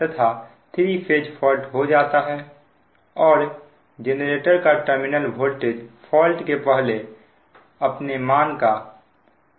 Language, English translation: Hindi, a three phase fault occurs and the effective terminal voltage of the generator becomes twenty five percent of its value before the fault